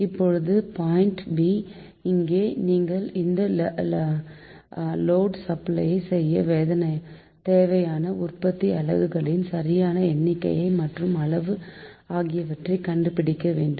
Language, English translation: Tamil, next point b, just b, is that you have to determine the proper number and size of generating units to supply this load